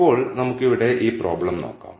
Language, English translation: Malayalam, Now, let us look at this problem right here